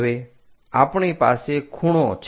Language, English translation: Gujarati, Now, we have an angle